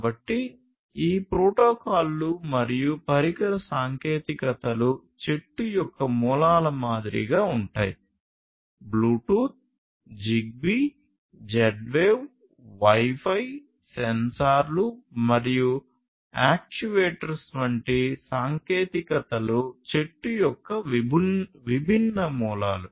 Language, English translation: Telugu, So, these protocols and device technologies are sort of like the roots of the tree; technologies such as Bluetooth, ZigBee, Z Wave wireless , Wi Fi, sensors, actuators these are the different roots of the tree